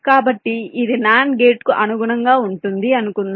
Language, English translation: Telugu, so let say this corresponds to nand gate